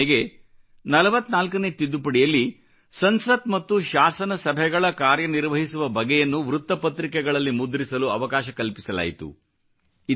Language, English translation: Kannada, The 44th amendment, made it mandatory that the proceedings of Parliament and Legislative Assemblies were made public through the newspapers